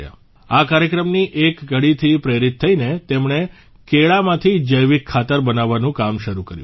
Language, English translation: Gujarati, Motivated by an episode of this program, she started the work of making organic fertilizer from bananas